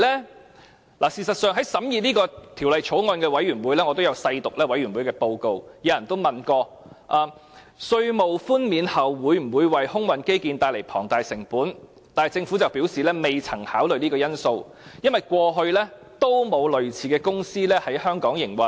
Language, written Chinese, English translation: Cantonese, 事實上，我也曾細讀審議這項《條例草案》的法案委員會報告，當中亦有委員問及在稅務寬免後，會否為空運基建帶來龐大成本，但政府則表示未曾考慮這個因素，因為過去沒有類似的公司在香港營運。, As a matter of fact I have studied the Bills Committee report of this Bill carefully . In the report Members asked if the tax concessions would give rise to a huge cost in air transport infrastructure . The Government said it had not considered that factor for no similar company had run in Hong Kong before